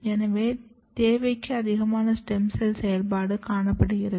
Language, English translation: Tamil, So, there is more than the required stem cells activity